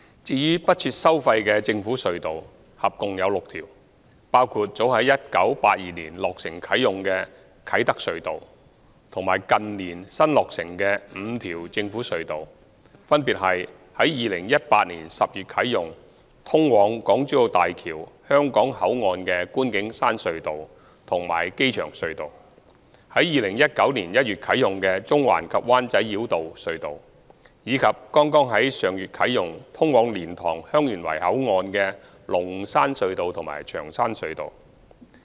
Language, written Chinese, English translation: Cantonese, 至於不設收費的政府隧道，合共有6條，包括早在1982年落成啟用的啟德隧道和近年新落成的5條政府隧道，分別是於2018年10月啟用、通往港珠澳大橋香港口岸的觀景山隧道及機場隧道、於2019年1月啟用的中環及灣仔繞道隧道，以及剛在上月啟用、通往蓮塘/香園圍口岸的龍山隧道及長山隧道。, As for toll - free government tunnels there are a total of six including the Kai Tak Tunnel which was commissioned back in 1982 and five recently commissioned namely the Scenic Hill Tunnel and Airport Tunnel leading to the Hong Kong Port of the Hong Kong - Zhuhai - Macao Bridge which were commissioned in October 2018; the Central - Wan Chai Bypass Tunnel commissioned in January 2019; as well as the Lung Shan Tunnel and Cheung Shan Tunnel leading to the LiantangHeung Yuen Wai Boundary Control Point which were commissioned last month